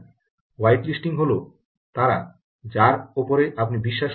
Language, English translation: Bengali, white listing are the those whom you want to trust, right